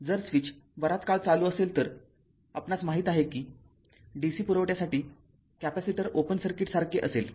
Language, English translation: Marathi, If switch was closed for long time you know that for the DC for the DC supply, the capacitor will be a like an open circuit right